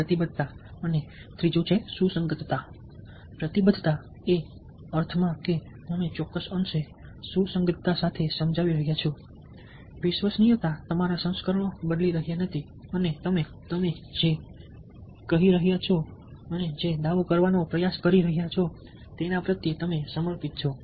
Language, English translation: Gujarati, commitment and consistency, ah, commitment in the sense that you are persuading with a certain degree of consistency, reliability, you are not changing your versions and you seem to be dedicated to what you are saying, what you are trying to profit